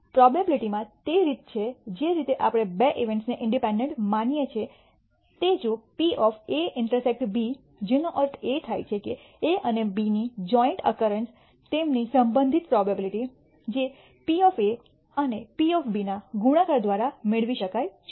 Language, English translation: Gujarati, In probability it is the way we consider two events to be independent is if the probability of A intersection B which means A joint occurrence of A and B can be obtained by multiplying their respective probabilities which is probability of A into probability of B